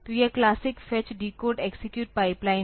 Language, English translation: Hindi, this is the classical fetch decode execute pipeline